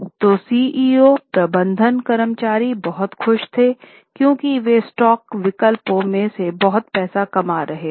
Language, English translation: Hindi, So CEOs, managers, employees, they were very happy because they were making lot of money from stock options